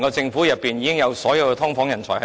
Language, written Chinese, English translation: Cantonese, 政府內部已有足夠的"劏房人才"。, There are already enough experts on subdivided units in the Government